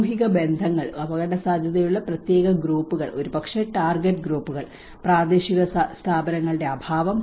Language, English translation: Malayalam, Social relationships, special groups at risk maybe a target groups, lack of local institutions